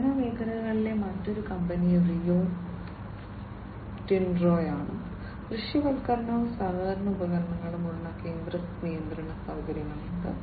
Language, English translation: Malayalam, Another company in the mining sector is the Rio Tinto, which has the central control facility with visualization and collaboration tools